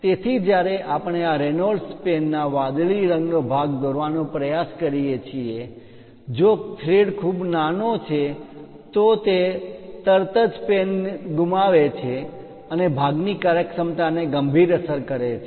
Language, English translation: Gujarati, So, when you are trying to screw this Reynolds ah pen the blue color part, if the thread is too small it immediately loses that pen and the functionality of the part severely affects